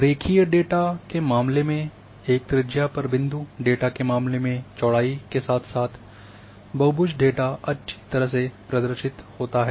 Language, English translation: Hindi, In case of a point data at good way radius in case of line data in good way width as well as the polygon data